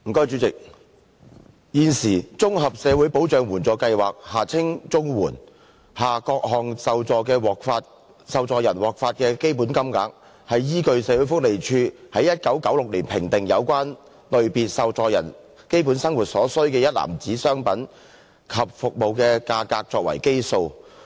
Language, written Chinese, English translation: Cantonese, 主席，現時，綜合社會保障援助計劃下各類受助人獲發的標準金額，是依據社會福利署於1996年評定有關類別受助人基本生活所需的一籃子商品及服務的價格作為基數。, President at present the standard rates under the Comprehensive Social Security Assistance Scheme CSSA to be received by various categories of CSSA recipients are based on the prices of a basket of goods and services assessed by the Social Welfare Department in 1996 to be the basic needs for the relevant category of recipients